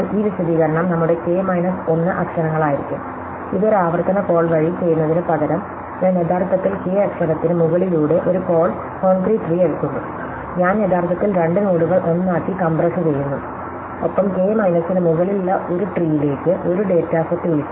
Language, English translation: Malayalam, So, this explain will be over k minus 1 letters except instead of doing this by a recursive call, I am actually taking a taking a concrete tree over k letter and I am actually compressing to two nodes into one and call in it to tree over k minus 1 data set